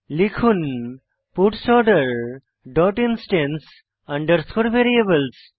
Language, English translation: Bengali, Type puts Order dot instance underscore variables